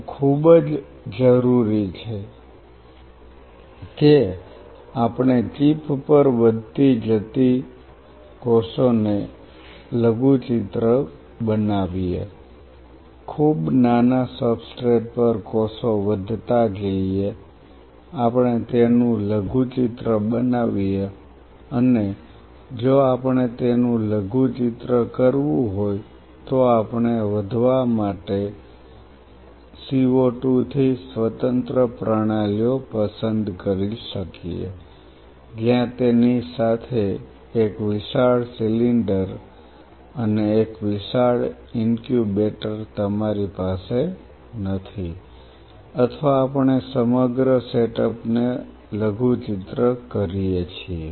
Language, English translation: Gujarati, This is very essential that we miniaturized the stuff growing cells on a chip, growing cells on very small substrate, we miniaturized it and if we have to miniaturize it we may prefer to have either CO 2 independent systems to grow, where you do not have to have a bulky cylinder along with it and a huge incubator or we miniaturize the whole setup